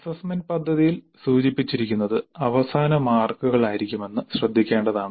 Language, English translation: Malayalam, But it should be noted that what is indicated in the assessment plan would be the final marks